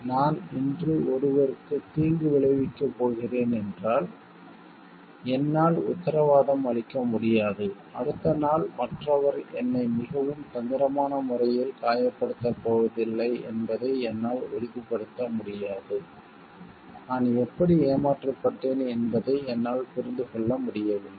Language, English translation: Tamil, If I am going to harm someone today so I cannot guarantee I cannot ensure like the other person is not going to harm me in the next day in a much may be trickier way, where I am not able to understand how I got cheated